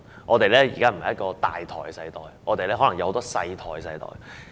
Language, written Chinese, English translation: Cantonese, 現在不是一個"大台"的世代，而是可能有很多"細台"的世代。, This is not an era of having a single main platform . Instead it may be one with many small platforms